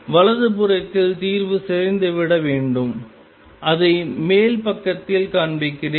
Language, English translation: Tamil, And on the right hand side the solution should decay let me show it on the over side